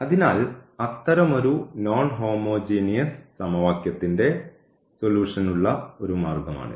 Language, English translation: Malayalam, So, this is one way of getting the solution of this such a non homogeneous